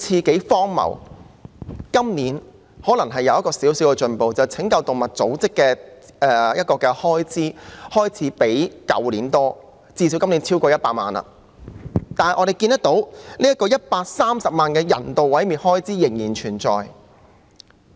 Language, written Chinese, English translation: Cantonese, 今年可能有少許進步，因為拯救動物組織的開支開始較去年多，最低限度今年超過100萬元，但我們看到130萬元的人道毀滅開支仍然存在。, Some slight improvement can perhaps be seen this year because the expenditure on animal rescue has increased compared to that last year and at least it exceeded 1 million this year but we can see that the expenditure of 1.3 million on euthanasia is still here